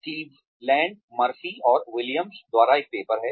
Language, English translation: Hindi, There is a paper by, Cleveland, Murphy and Williams